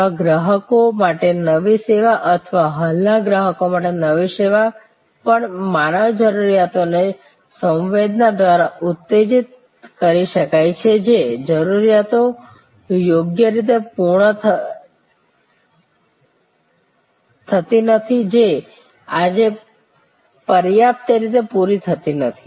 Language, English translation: Gujarati, new service to new customers or even new service to existing customer can be stimulated by sensing human needs sensing needs that are not properly fulfilled not adequately met today